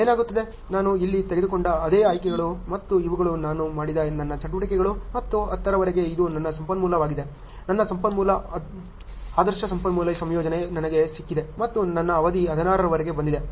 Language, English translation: Kannada, What happens, the same options I have taken here and so, these are my activities I have done and this is my complete till 10 is my resource, ideal resource combination I have got and my duration have come until 16